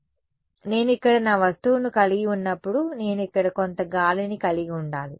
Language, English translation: Telugu, So, this is why when I have my object over here I need to have some air over here right